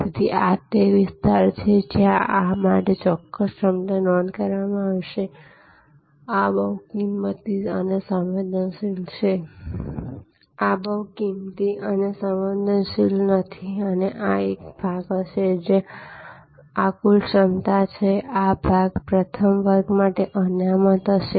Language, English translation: Gujarati, Therefore, this is the area where a certain capacity will be booked for this, this is not very price and sensitive and this will be a this part of the if this is the total capacity if this is the total capacity, then this part will be reserve for first class